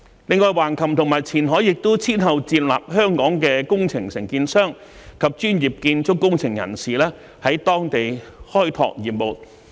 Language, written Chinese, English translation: Cantonese, 另外，橫琴和前海亦先後接納香港的工程承建商及專業建築工程人士在當地開拓業務。, Furthermore approved contractors and professional civil engineering personnel of Hong Kong have been allowed to start business in Hengqin and Qianhai